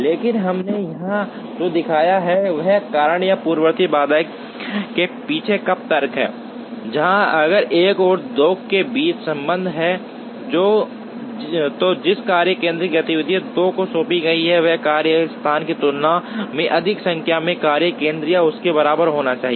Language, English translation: Hindi, But, what we have shown here is, the reason or the rationale behind the precedence constraints, where if there is a relationship between 1 and 2, the workstation to which activity 2 is assigned should be higher numbered workstation or equal to than the workstation to which 1 is assigned